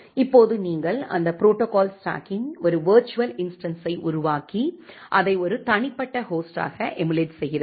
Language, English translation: Tamil, Now you are creating a virtual instance of that protocol stack and emulating it at as an individual host